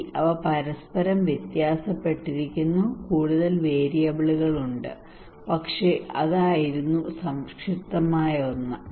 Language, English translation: Malayalam, Well they vary from each other there are more variables, but that was the concise one